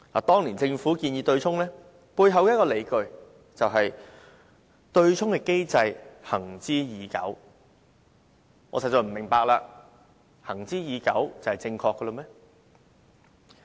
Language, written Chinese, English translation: Cantonese, 當年政府建議對沖，只有一個理據，就是對沖機制"行之已久"，我實在不明白，"行之已久"就表示是正確嗎？, Back then there was only one ground for the Governments proposal for offsetting that is the offsetting mechanism was an established practice . I really do not understand it . Does established mean being correct?